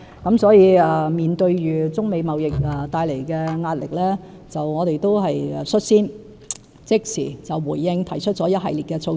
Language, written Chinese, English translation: Cantonese, 因此，面對中美貿易戰帶來的壓力，我們率先即時回應，提出了一系列措施。, Hence facing the pressure brought forth by the Sino - American trade war we have lost no time in proposing a series of initiatives in response